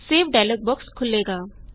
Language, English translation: Punjabi, The Save dialog box will open